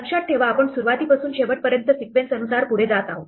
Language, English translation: Marathi, Remember, we are going sequential from beginning to the end